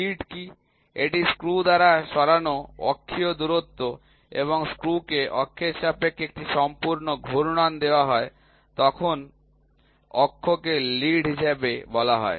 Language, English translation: Bengali, What is lead, it is the axial distance moved by the screw when the screw is given one complete rotation about it is axis is called as the lead